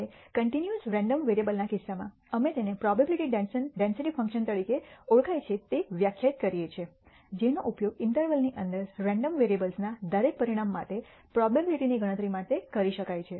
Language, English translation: Gujarati, Now, in the case of a continuous random variable, we define what is known as a probability density function, which can be used to compute the probability for every outcome of the random variable within an interval